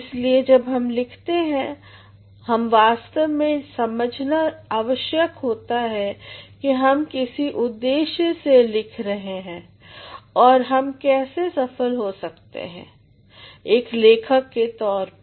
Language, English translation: Hindi, So, when we write we actually have to understand that we are writing with a purpose, and how can we succeed as a writer